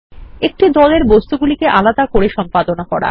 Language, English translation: Bengali, Only the objects within the group can be edited